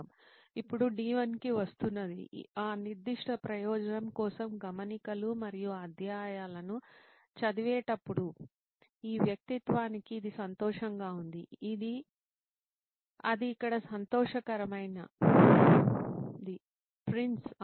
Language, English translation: Telugu, Now coming to D1 that is during the activity reading the notes and chapters for that particular purpose, so that is happy for this persona, that is a happy Prince here